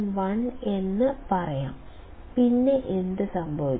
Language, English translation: Malayalam, 001; then what will happen